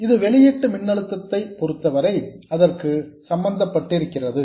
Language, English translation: Tamil, This is as far as the output voltage is concerned